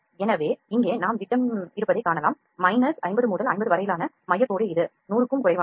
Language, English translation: Tamil, So, here we can see the diameter as well diameter is from this is the central line tights from minus 50 to 50 it is less than 100